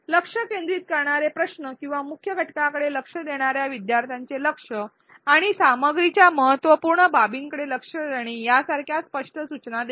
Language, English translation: Marathi, Explicit prompts such as focus questions or nudges focus learners attention to the key parts the important aspects of the content